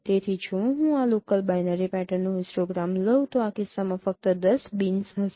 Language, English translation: Gujarati, So if I take the histogram of this local binary patterns, there would be only 10 bins in this case